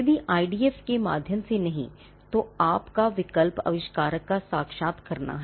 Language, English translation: Hindi, Now, if not through an IDF, then your option is to interview the inventor